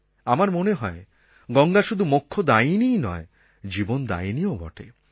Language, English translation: Bengali, But more than that, Ganga is the giver of life